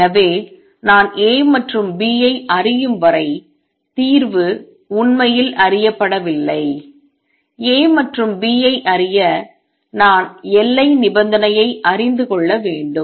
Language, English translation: Tamil, So, the solution is not really known until I know A and B; to know A and B, I have to know the boundary condition